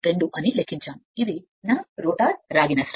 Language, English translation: Telugu, 52, this is my rotor copper loss right